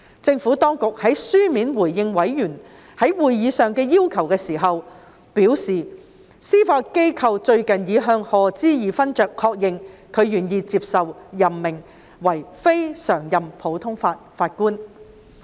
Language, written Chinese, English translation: Cantonese, 政府當局在書面回應委員在會議上的要求時表示，司法機構最近已向賀知義勳爵確認，他願意接受任命為非常任普通法法官。, In its written response to members requests made at the meeting the Administration has advised that the Judiciary recently confirmed with Lord HODGE his willingness to accept the appointment as a CLNPJ